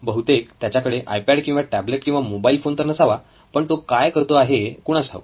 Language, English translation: Marathi, I guess he doesn’t have an iPad or a tablet or a mobile phone but I don’t know what he is up